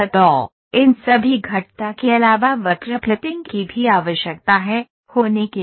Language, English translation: Hindi, So, now, the apart from all these curves there is a need for curve fitting also to happen